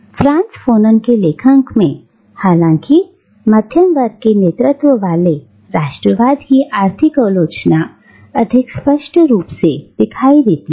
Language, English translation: Hindi, In the writings of Frantz Fanon, however, the economic criticism of middle class led nationalism is more clearly visible